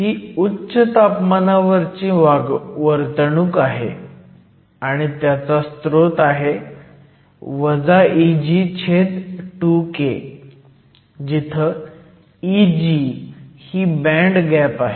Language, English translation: Marathi, So, this is the high temperature behavior, and the source is minus E g over 2 K, where E g is the band gap